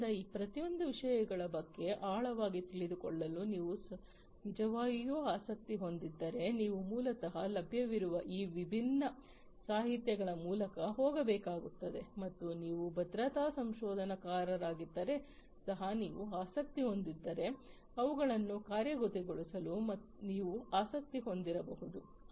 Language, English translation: Kannada, So, if you are indeed interested to deep to drill deep down into each of these issues you have to basically go through these different literatures that are available and if you are also interested if you are a security researcher you might be interested to implement them